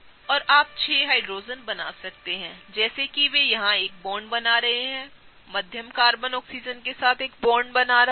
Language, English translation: Hindi, And you can draw the 6 Hydrogen such that they are forming a bond here; the middle Carbon is forming a bond with the Oxygen